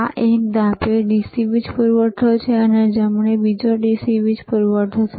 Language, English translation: Gujarati, This one is DC power supply, this is another DC power supply